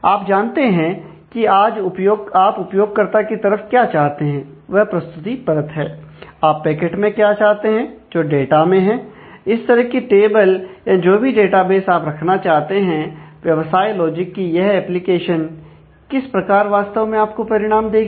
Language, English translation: Hindi, So, that you know what you want to do at the clients, and which is which is at the presentation layer, or what you want at the absolute packet which is on the data, what tables and all the databases that you want to maintain, and the business logic of how actually this application will give you the result, how actually it will